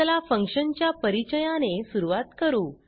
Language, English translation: Marathi, Let us see the syntax for function